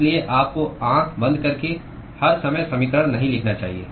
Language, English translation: Hindi, So, you should not blindly go and write equations all the time